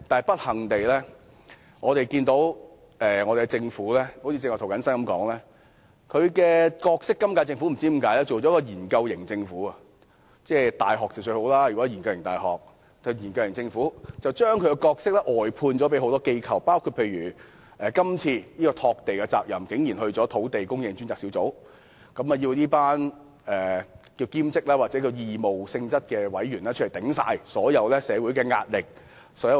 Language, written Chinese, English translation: Cantonese, 不幸地，正如涂謹申議員剛才說，今屆政府不知為何成了一個"研究型"政府——大學是"研究型"倒是很理想的——把其角色外判給很多機構，例如竟然把拓地的責任交由土地供應專責小組，要這群所謂兼職或義務性質的委員承受所有社會壓力及"擋箭"。, Unfortunately as Mr James TO has just stated the current - term Government for reasons unknown has become a research government―research universities are desirable though―and contracted out its roles to many organizations such as assigning the responsibility of land development to the Task Force on Land Supply to let this group of so - called part - time or voluntary members bear all the social pressure and shield flak